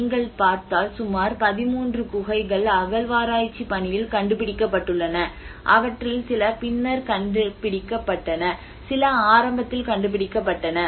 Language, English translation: Tamil, If you look at there are about 13 caves which has been discovered in the excavation process and some of them have been discovered much later and some were discovered in the beginning